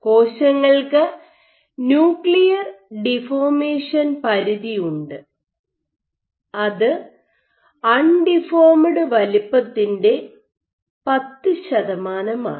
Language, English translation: Malayalam, So, cells we have the nuclear deformation limit which is 10 percent of undeformed size